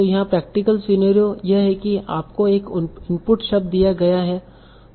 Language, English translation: Hindi, So the practical scenario here is you are given an input word